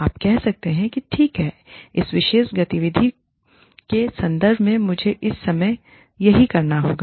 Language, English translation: Hindi, You can say, okay, with reference to this particular activity, this is what, i need to do, at this point in time